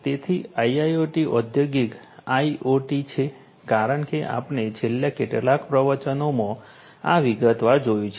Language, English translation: Gujarati, So, IIoT is Industrial IoT as we have seen this in detail in the last several lectures